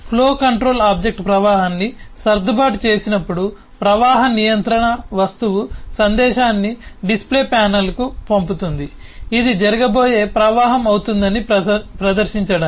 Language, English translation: Telugu, when the flow control object has adjusted the flow, the flow control object would sent the message to the display panel say that to display that this is going to be the flow that is going to happen